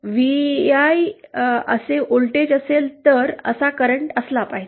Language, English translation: Marathi, V I, if there is a voltage, there should be a current like that